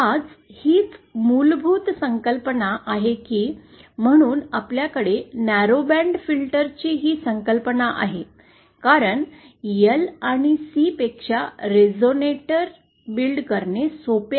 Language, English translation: Marathi, Now, so, that is the basic concept that, that this why we have this concept of narrowband filters because resonators are easier to build than L and C